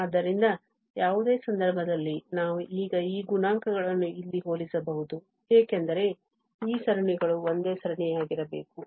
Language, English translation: Kannada, So, in any case we can now compare these coefficients here, because this series must be the same series